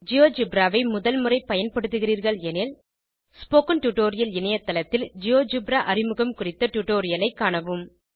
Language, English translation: Tamil, If this is the first time you are using Geogebra, please watch the Introduction to GeoGebra tutorial on the Spoken Tutorial website